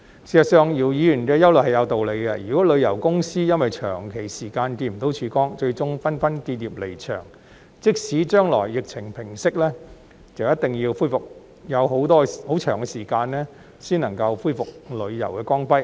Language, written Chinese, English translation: Cantonese, 事實上，姚議員的憂慮是有道理的，如果旅遊公司因為長時間看不到曙光，最終紛紛結業離場，即使將來疫情平息，亦一定要很長時間才能恢復旅遊業的光輝。, In fact Mr YIUs concern is justified . If travel companies close down one after another because they have not seen any ray of hope for a prolonged period it will definitely take a long time for the tourism industry to restore its glory when the epidemic subsides in the future